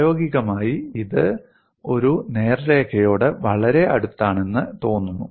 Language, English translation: Malayalam, In practice, this appears to be very close to a straight line